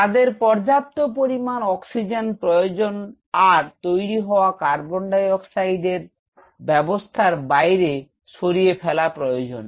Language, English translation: Bengali, They need sufficient oxygen and not only that this carbon dioxide which is produced here has to be sent outside the system